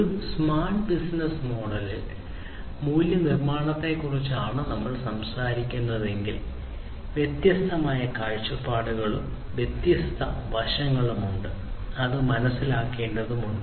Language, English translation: Malayalam, So, you know, if we are talking about the value creation in a smart business model, there are different perspectives different aspects that will need to be understood